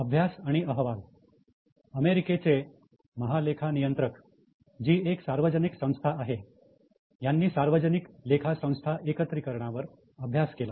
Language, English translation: Marathi, Studies and reports, the Comptroller General of US, which is a public body, they conducted a study on consolidation of public accounting firms